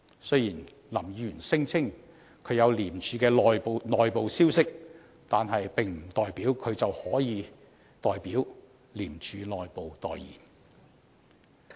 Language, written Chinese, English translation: Cantonese, 雖然林議員聲稱他取得廉署的內部消息，但並不代表他可以代廉署內部發言。, Although Mr LAM claims that he has access to internal ICAC sources this does not mean that he can speak for the people in ICAC